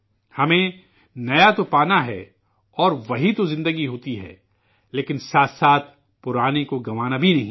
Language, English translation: Urdu, We have to attain the new… for that is what life is but at the same time we don't have to lose our past